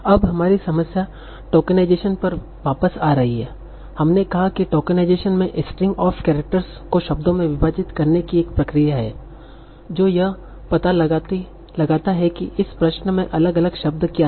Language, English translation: Hindi, We said that tokenization is a process of segmenting a string of characters into words, finding out what are the different words in this issue